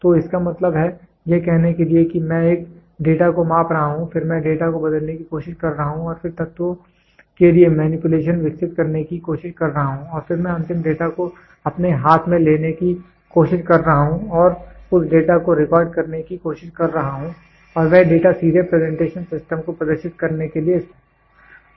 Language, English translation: Hindi, So, that means, to say I am measuring a data then I am trying to convert the data and then trying to develop manipulation for the elements and then I am trying to record the am trying to take the final data in my hand and that data can be used for displaying presentation systems directly